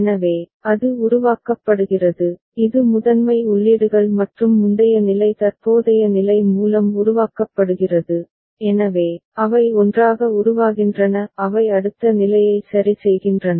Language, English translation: Tamil, So, that is generated, that is generated through primary inputs and the previous state the current state, so, together they derive they drive the next state ok